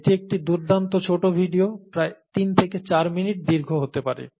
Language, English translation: Bengali, So that's a nice small video, may be about three to four minutes long